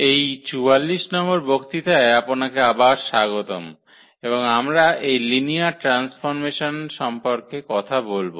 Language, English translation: Bengali, Welcome back and this is lecture number 44 and we will be talking about Linear Transformations